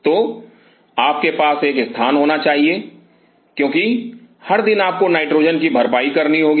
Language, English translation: Hindi, So, you have to have a space because every day you have to replenish nitrogen